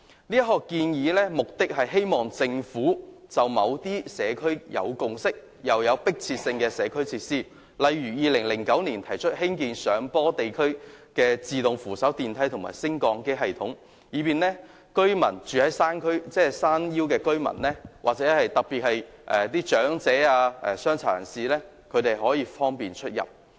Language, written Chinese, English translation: Cantonese, 這項建議的目的是希望政府興建一些在社區已有共識並有迫切性的社區設施，例如2009年提出興建上坡地區自動扶手電梯和升降機系統，以方便居於山腰的居民，特別是長者及殘疾人士出入。, The purpose of this proposal is to urge the Government to provide community facilities which consensus has been forged and are urgently needed by society . For example a proposal to provide hillside escalator links and elevator systems was put forward in 2009 to facilitate residents living along the hillside especially elderly persons and people with disabilities